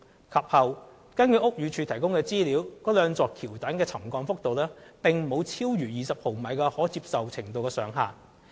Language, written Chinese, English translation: Cantonese, 及後，根據屋宇署提供的資料，該兩座橋躉的沉降幅度並沒有超逾20毫米的可接受程度上限。, Thereafter as the information of BD shows the subsidence of the two viaduct piers has not exceeded the maximum tolerable limit of 20 mm